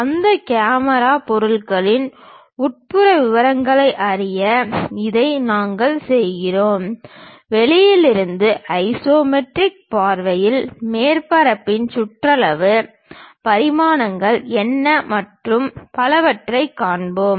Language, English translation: Tamil, This we do it to know interior details of that camera object, from outside at isometric view we will see the periphery of the surface, what are the dimensions and so on